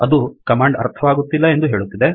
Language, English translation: Kannada, It says that it does not understand this command